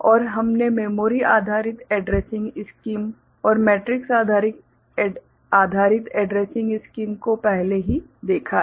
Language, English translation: Hindi, And we have already noted the memory you know based addressing scheme, matrix based addressing scheme before